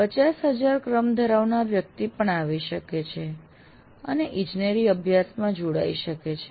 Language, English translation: Gujarati, Every 50,000 rank person also can come and join an engineering program